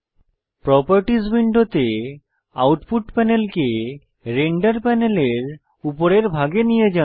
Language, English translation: Bengali, The layers panel moves to the top of the render panel